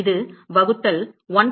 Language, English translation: Tamil, That is equal to divided by 1